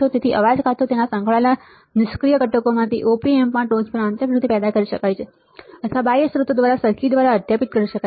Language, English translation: Gujarati, So, noise can either be generated internally in the top in the op amp from its associated passive components or super imposed by circuit by the external sources